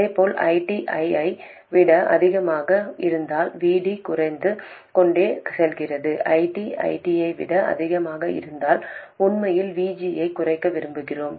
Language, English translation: Tamil, Similarly, if ID is greater than I 0, VD goes on decreasing, and if ID is greater than I 0 we actually want to reduce VG